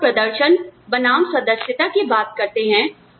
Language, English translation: Hindi, When we talk about, performance versus membership